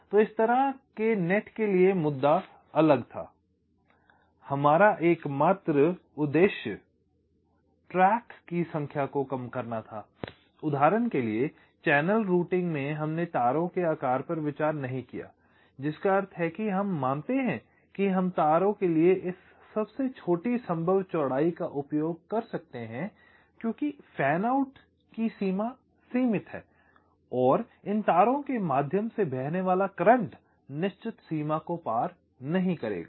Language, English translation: Hindi, our sole objective was to minimize the number of tracks, for example in channel routing, and we did not consider the sizing of the wires, which means we assume that we can use this smallest possible width for the wires because fan out is limited and the current flowing through these wires will not cross certain limit